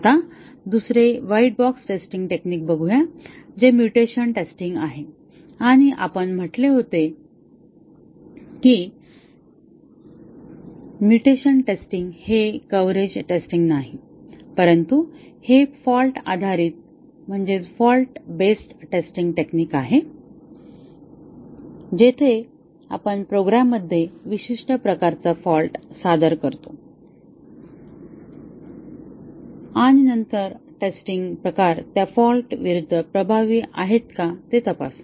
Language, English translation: Marathi, Now, let us look at another white box testing technique which is the mutation testing and we had said that mutation testing is not a coverage testing, but it is a fault based testing technique where we introduce a specific type of fault into the program and then, check whether the test cases are effective against that type of fault